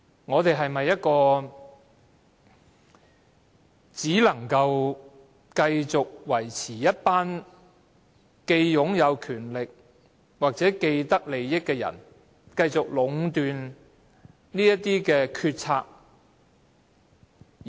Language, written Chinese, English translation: Cantonese, 我們是否繼續容讓一群擁有權力的人或既得利益者壟斷決策呢？, Should we continue allowing a group of people with power or vested interests to monopolize all the decisions?